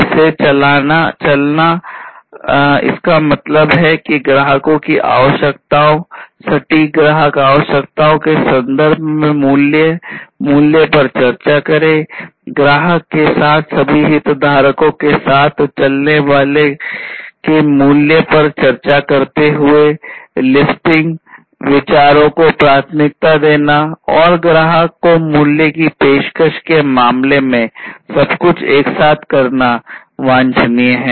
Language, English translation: Hindi, Walking it, that means, discuss the value, value in terms of the customer requirements, precise customer requirements, discussing the value of those walking together, walking together with all stakeholders walking together with the customer and so on, listing and prioritizing ideas and doing everything together is what is desirable in terms of offering the value to the customer